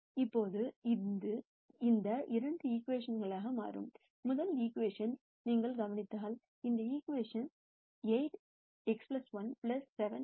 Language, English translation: Tamil, Now this turns out into these two equations, and if you notice you take the first equation, the first equation is 8 x 1 plus 7 x 2 equals x 1